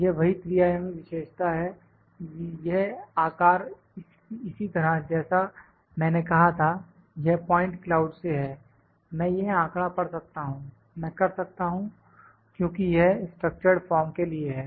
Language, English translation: Hindi, This same three dimensional feature, this shape like I said from this is point cloud, I can read the data, I can because is for the structured form